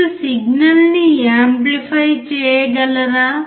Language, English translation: Telugu, Can you amplify the signal